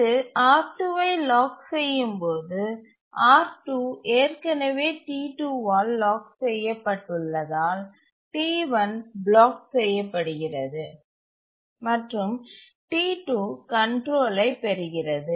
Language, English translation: Tamil, And when it locks R2, R2 has already been locked by T1 and therefore, sorry, R2 has already been locked by T2 and therefore T1 blocks